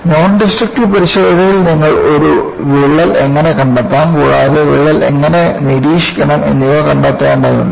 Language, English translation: Malayalam, In Nondestructive testing, you will have to find out, how to detect a crack and also how to monitor the crack